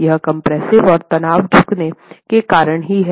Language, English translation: Hindi, The compression and tension is because of the bending itself